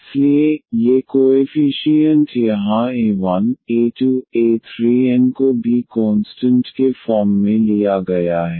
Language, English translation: Hindi, So, these coefficients here a 1, a 2, a 3, a n they are also taken as constants